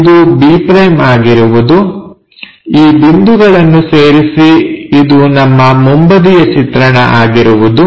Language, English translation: Kannada, So, this will be b’ join these points, this will be our front view